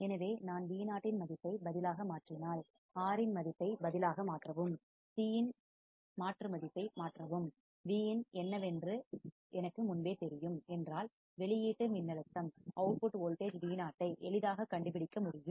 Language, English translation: Tamil, So, if I substitute the value of Vo, substitute the value of R, substitute value of C, and I already know what is Vin right then I can easily find output voltage Vo